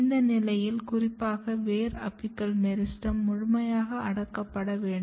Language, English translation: Tamil, At this state particularly in root apical meristem, this needs to be totally kept repressed